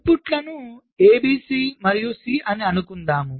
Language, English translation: Telugu, lets say the inputs are a, b and c